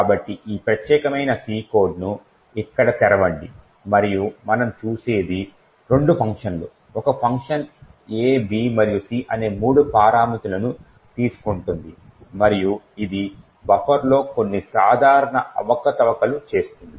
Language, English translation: Telugu, So, lets open this particular C code and open it over here and what we see is two functions, one is a function which takes three parameters a, b and c and it does some simple manipulations on a buffer